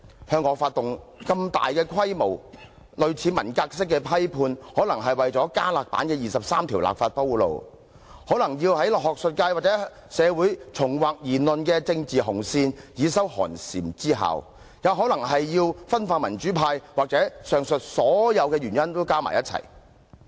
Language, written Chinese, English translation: Cantonese, 向我發動如此大規模、類近文革式的批判，可能是要為加辣版的《基本法》第二十三條立法鋪路；可能是要在學術界及香港社會重劃言論的政治紅線，以收寒蟬之效；也可能是要分化民主派；或者是上述所有原因加在一起。, To launch such a large - scale Cultural Revolution - style purge against me may be the harbinger to an enhanced version of the legislation for Article 23 of the Basic Law; it may also be an attempt to draw a political redline in the academic sector and Hong Kong society to create a chilling effect; it may be an attempt to divide the pro - democracy camp or it may be the sum of all the aforesaid reasons